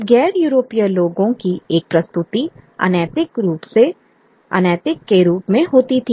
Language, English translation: Hindi, Then there was a presentation of non Europeans as immoral